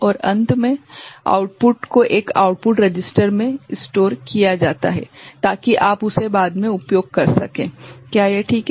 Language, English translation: Hindi, And finally, the outputs are stored in an output register so, that you can use it you know subsequently is it fine